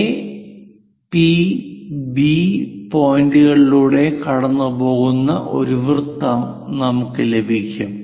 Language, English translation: Malayalam, So, this is the circle what we get a circle passing through A, P, B points